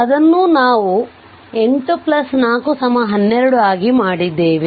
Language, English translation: Kannada, That also we have made it 8 plus 4 is equal to 12